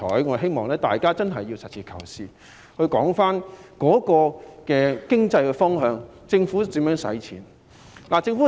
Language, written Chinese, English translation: Cantonese, 我希望大家實事求是，循經濟方向來討論政府如何使用撥款。, I hope all Honourable colleagues will seek truth from facts and discuss from an economic perspective how the Government should use the appropriations